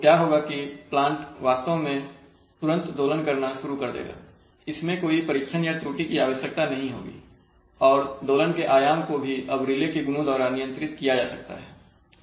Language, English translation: Hindi, So what will happen is that the plant will actually oscillate immediately it will start oscillating that is, there will be no trial and error needed and the amplitude of oscillation can, can now be controlled by the properties of the relay